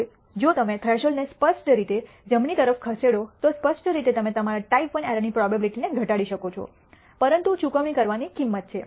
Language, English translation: Gujarati, Now, if you move the threshold to the right obviously, you can reduce your type I error probability, but there is a price to be paid